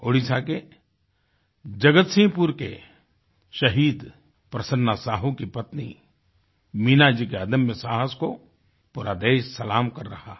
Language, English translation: Hindi, The country salutes the indomitable courage of Meenaji, wife of Martyr PrasannaSahu of Jagatsinghpur, Odisha